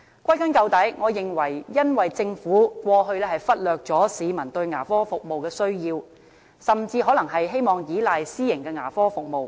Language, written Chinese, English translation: Cantonese, 歸根究底，我認為因為政府過去忽略了市民對牙科服務的需要，甚至可能是希望依賴私營牙科服務。, In a nutshell I think it is because the Government neglected the peoples needs for dental services in the past . It may even wish to rely on private dental services